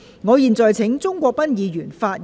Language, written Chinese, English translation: Cantonese, 我現在請鍾國斌議員發言及動議議案。, I now call upon Mr CHUNG Kwok - pan to speak and move the motion